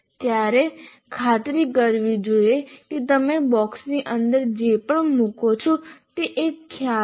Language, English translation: Gujarati, You should make sure whatever you put inside the box is actually a concept